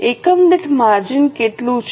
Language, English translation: Gujarati, How much is a margin per unit